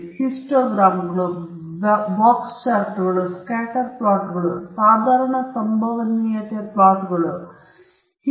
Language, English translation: Kannada, You will be looking at Histograms, Box Charts, Scatter Plots, Normal Probability Plots and so on